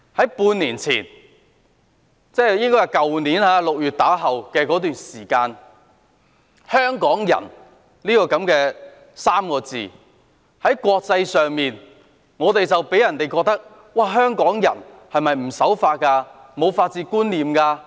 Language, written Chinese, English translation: Cantonese, 半年前，即去年6月後，"香港人"這3個字在國際間予人的感覺是，香港人是否不守法和沒有法治觀念？, Since six months ago that means since June last year the word Hongkongers has given the following impression to the international community Do Hongkongers defy the law and have no concept of the rule of law?